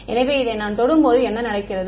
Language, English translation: Tamil, So, when I touch this what is happening